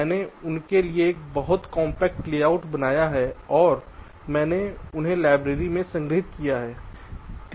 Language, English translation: Hindi, i have created a very compact layout for them and i have stored them in the library